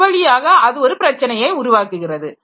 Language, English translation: Tamil, So, that way it is creating the problem